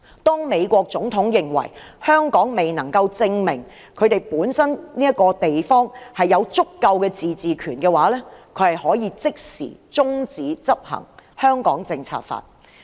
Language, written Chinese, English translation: Cantonese, 如美國總統認為香港未能證明本身有足夠自治權，就可以立即中止執行《香港政策法》。, Once the President of the United States considers that Hong Kong is unable to prove that it has sufficient autonomy he can immediately stop the enforcement of the Hong Kong Policy Act